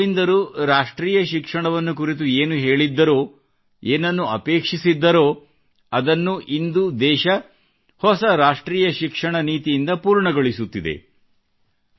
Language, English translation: Kannada, Whatever Shri Aurobindosaid about national education and expected then, the country is now achieving it through the new National Education Policy